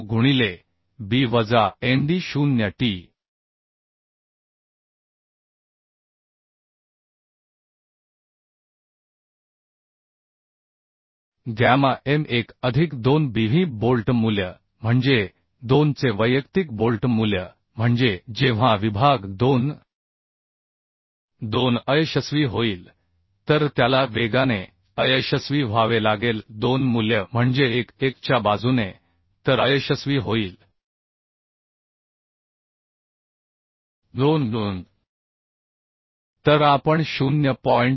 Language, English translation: Marathi, 9fu into b minus nd0 t by gamma m1 plus 2Bv bolt value means individual bolt value of 2 that means when section 2 2 will fail it has to fail fast 2 value along means along 1 1 then the fail failure at along 2 2 So we will calculate 0